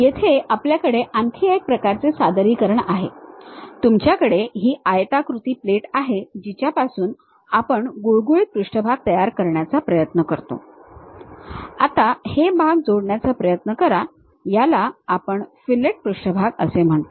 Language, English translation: Marathi, Here we have another kind of representation, you have this rectangular plate rectangular plate you try to construct this smooth surface and try to add to these portions, that is what we call fillet surface